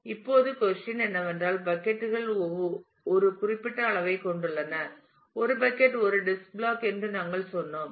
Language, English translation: Tamil, Now the question is the buckets have a certain size we said that a bucket is a is a disk block